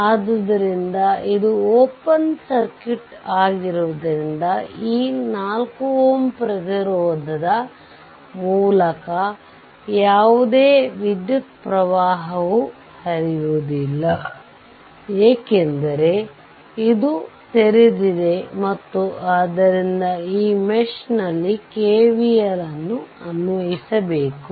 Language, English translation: Kannada, So, the this is open circuit, so no current is flowing through this 4 ohm resistance, because this is open and therefore, you apply your what you call that KVL in this mesh